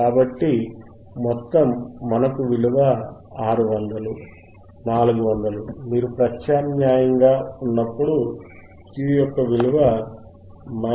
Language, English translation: Telugu, So, total is, we have the value 600, 400; when you substitute, we get the value of Quality factor Q equals to minus 3